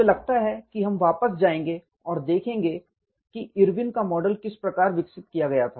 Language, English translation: Hindi, I think, we will go back and then see how the Irwin’s model was developed